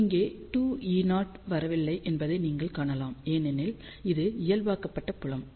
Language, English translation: Tamil, You can see that 2 E 0 is not coming over here, because this is normalized field